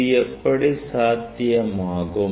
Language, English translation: Tamil, How it is possible